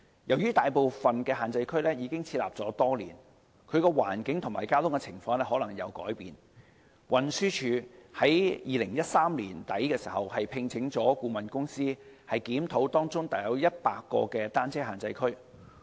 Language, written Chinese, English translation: Cantonese, 由於大部分限制區已設立多年，其環境和交通情況可能已經改變，運輸署在2013年年底聘請顧問公司檢討當中約100個單車限制區。, As most of the prohibition zones were designated many years ago they may have undergone changes in terms of circumstances and traffic conditions . In late 2013 the Transport Department TD engaged a consultancy to review about 100 of these bicycle prohibition zones